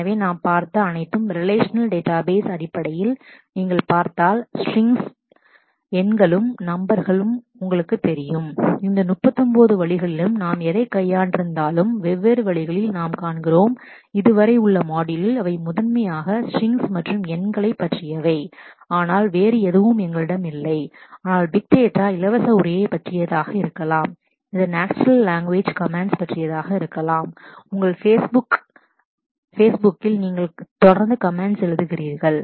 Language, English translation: Tamil, So, all that we have seen in the relational database is basically your you know strings and numbers if you look at it in different ways we are seeing, whatever we have dealt with in all these through all this 39 modules so far, they are primarily about strings and numbers, but nothing else we have not, but big data can be about free text, it could be about natural language comments your regularly writing comments on your Facebook